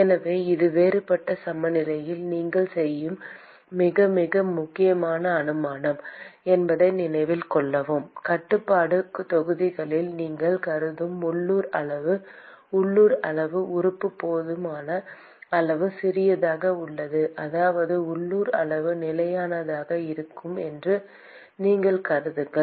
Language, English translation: Tamil, So, note that this is very, very important assumption that you make in differential balance, that the local quantity that you are considering in the control volume you assume that the local quantity the element is small enough such that the local quantity remains constant in that element